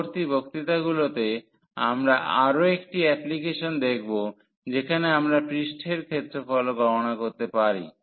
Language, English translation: Bengali, In later lectures we will also see another application where we can compute the surface area as well